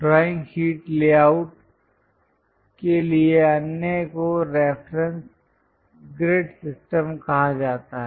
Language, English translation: Hindi, The other one for a drawing sheet layout is called reference grid system